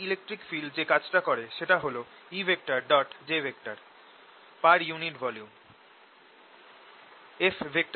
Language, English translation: Bengali, work done by electric field is e dot j per unit volume